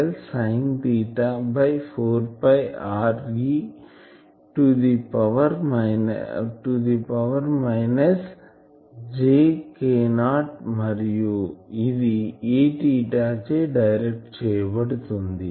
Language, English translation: Telugu, dl sin theta by 4 pi r e to the power minus j k not r and it is directed a theta